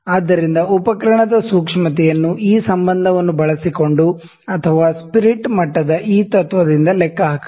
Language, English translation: Kannada, So, this sensitivity of the instrument can be calculated using this relation or this principle, this is a spirit level